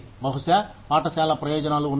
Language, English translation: Telugu, Maybe, have school benefits